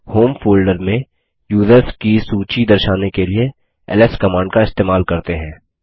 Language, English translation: Hindi, To show the list of users in the home folder ls command is used